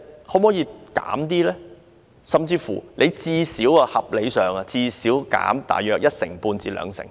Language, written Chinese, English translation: Cantonese, 可否減少，或合理地應減少一成半至兩成？, Can the number be reduced or be reasonably reduced by 15 % to 20 % ?